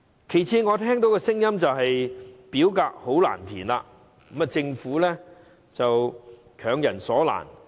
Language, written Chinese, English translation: Cantonese, 其次，我聽到有聲音指表格很難填寫，政府是強人所難。, Secondly I heard comments about the forms being difficult to fill in and the Government making life difficult for them